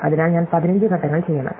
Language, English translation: Malayalam, So, totally I must make 15 steps, right